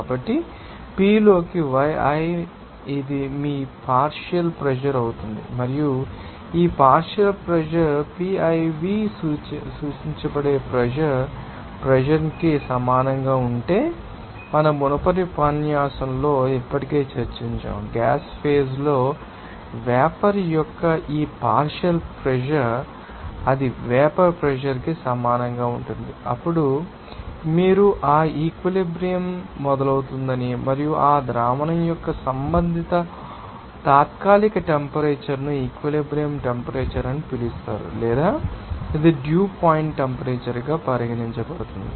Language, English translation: Telugu, So, yi into p that will be your partial pressure and if this partial you know how pressure if it is equal to that vapour pressure which is denoted by Piv that already we have discussed in our previous lecture also so, when this partial pressure of the vapour in the gas phases, you know that will be equal to vapour pressure then you can see that that saturation starts and the respective temporary temperature of that solution will be called as saturated temperature or it is regarded as dew point temperature